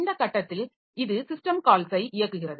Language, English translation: Tamil, At this point it executes the system call